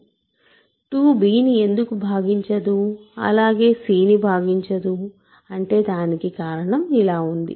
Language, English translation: Telugu, So, 2 does not divide c, 2 does not divide b, but 2 divides bc